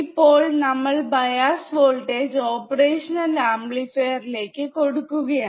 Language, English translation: Malayalam, Now, we have applied the bias voltage to the operation amplifier